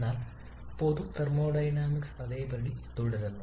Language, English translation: Malayalam, But the general thermodynamics remains the same